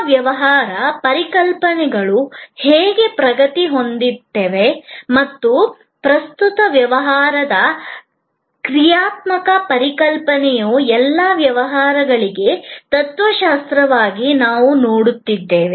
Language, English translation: Kannada, We looked at how service business concepts are progressing and the current dynamic concept of service as a philosophy for all business and so on